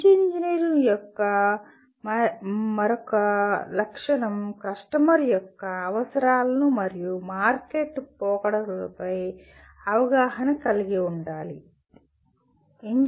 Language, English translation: Telugu, Then another characteristic of a good engineer, awareness of customer’s needs and market trends